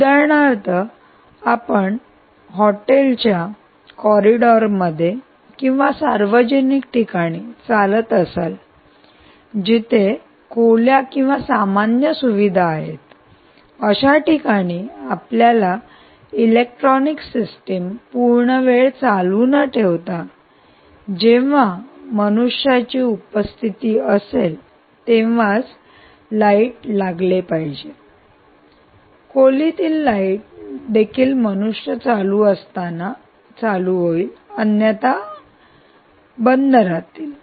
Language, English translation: Marathi, for instance, if you walk into the corridor of a hotel or you walk into a public place where there are public, let us say, rooms or common facilities, where normally you dont want power, you dont want the systems to have the lights on all the time, lights on only when they detect presence of humans, right, you want to